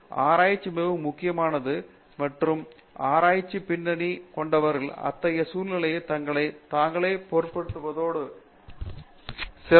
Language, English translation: Tamil, So, that is where research is very crucial and people with research background are able to fit themselves into such an environment and then grow much better